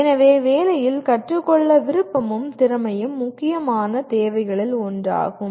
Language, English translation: Tamil, So willingness and ability to learn on the job is one of the important requirements